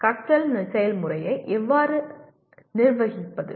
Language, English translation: Tamil, How do I manage the learning process